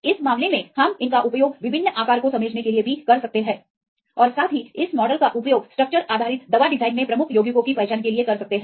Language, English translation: Hindi, In this case we can also use these for understanding the different size as well as use this model for identifying the lead compounds in structure based drug design